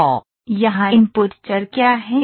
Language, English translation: Hindi, So, what are input variables here